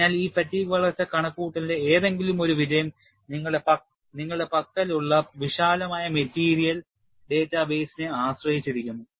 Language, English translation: Malayalam, So, one of the success of any of these fatigue growth calculation, depends on what broader material data base that you have